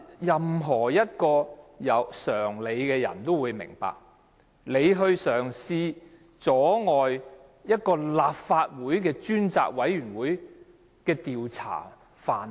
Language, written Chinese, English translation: Cantonese, 任何一位有常理的人都會明白，梁振英嘗試阻礙專責委員會的調查範圍。, Anyone with common sense will understand that LEUNG Chun - ying was trying to interfere with the scope of inquiry of the Select Committee